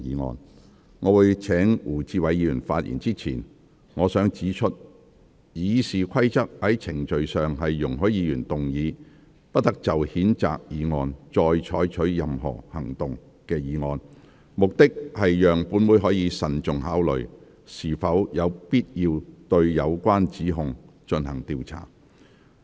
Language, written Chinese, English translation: Cantonese, 在我請胡志偉議員發言之前，我想指出，《議事規則》在程序上容許議員動議"不得就譴責議案再採取任何行動"的議案，目的是讓本會可慎重考慮是否有必要對有關指控進行調查。, Before I call upon Mr WU Chi - wai to speak I wish to point out that as a matter of procedure the Rules of Procedure does permit Members to propose a motion that no further action shall be taken on a censure motion for the purpose of enabling this Council to give prudent consideration to the necessity or otherwise of conducting an inquiry into the relevant allegations